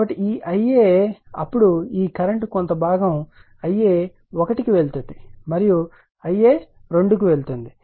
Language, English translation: Telugu, So, this I a then , this current is, , some part is going to I a 1 and going to I a 2